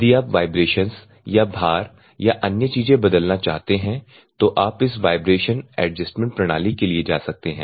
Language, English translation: Hindi, If you want to change the vibrations are load and other things you can go for this adjusting or the vibration adjustment system